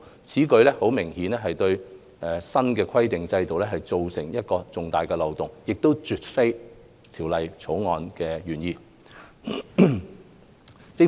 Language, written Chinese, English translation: Cantonese, 此舉明顯對新規管制度構成重大漏洞，絕非《條例草案》原意。, This will cause a big and obvious loophole to the new regulatory regime and go against the original intent of the Bill